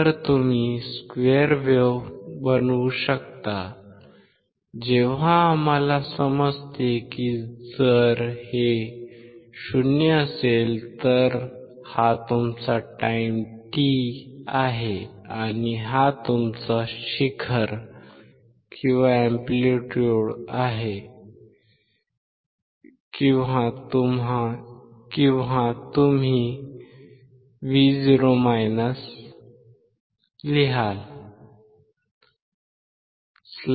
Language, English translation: Marathi, So, you can you can form square wave when we understand that that if this is 0, which is here this is your time t and this is your amplitude or you write V minus 0